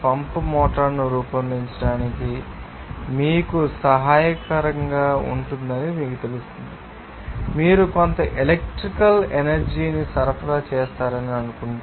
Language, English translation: Telugu, Like it will be you know helpful to design pump motor, you know that if you suppose supply some electrical energy